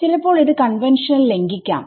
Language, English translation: Malayalam, So, and it may violate that conventional also